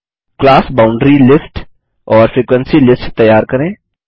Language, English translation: Hindi, Let us create the class boundary list and the frequency list